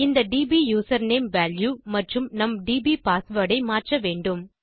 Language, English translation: Tamil, So we need to change this dbusername value and our dbpassword